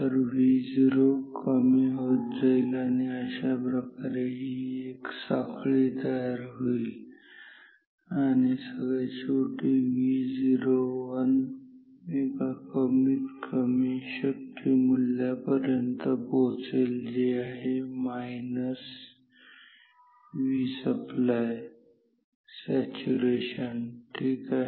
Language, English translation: Marathi, So, V o and will go down and then this way a chain reaction will happen and finally, V o 1 will finally, reach the lowest possible value which is minus V supply saturation ok